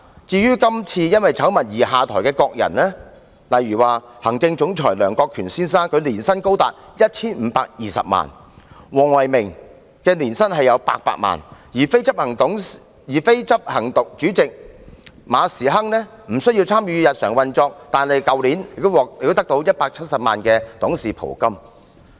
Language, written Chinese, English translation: Cantonese, 至於今次因醜聞而下台的各人，例如行政總裁梁國權先生的年薪高達 1,520 萬元，黃唯銘的年薪亦達800萬元，而非執行主席馬時亨雖然無需參與日常運作，但去年也獲得170萬元的董事袍金。, Among those who have stepped down because of the scandal the annual remuneration of Chief Executive Officer Lincoln LEONG amounted to 15.2 million while Philco WONG was earning 8 million per year . Though Frederick MA the Non - executive Chairman is not involved in the daily operation he received a directors fee of 1.7 million in the past year